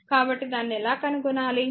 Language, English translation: Telugu, So, how to find it out right